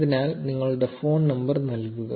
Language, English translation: Malayalam, So put in your phone number